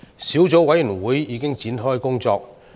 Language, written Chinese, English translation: Cantonese, 小組委員會已展開工作。, The Subcommittee has already commenced its work